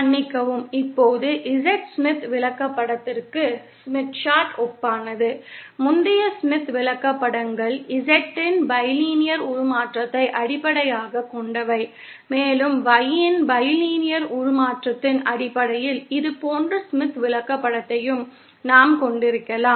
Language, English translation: Tamil, Excuse me, now analogous to the Z Smith chartÉ The previous Smith charts that we considered were based on the bilinear transformation of Z and we can have a similar Smith chart based on the bilinear transformation of Y